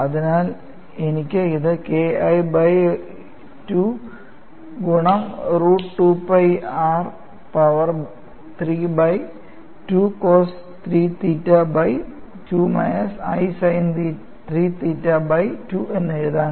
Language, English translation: Malayalam, So, I could, so, write this as K 1 by 2 into root of 2 pi r power 3 by 2 cos 3 theta by 2 minus i sin 3 theta by 2;